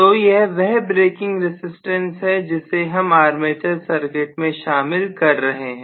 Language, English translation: Hindi, So this is the braking resistance that I am including across the armature